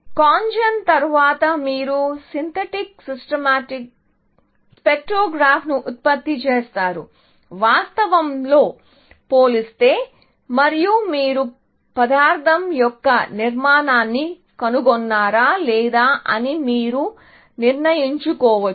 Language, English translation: Telugu, So, after CONGEN, you produce a synthetic spectrogram, compared with real and then, you can decide, whether you have found the structure of the material or not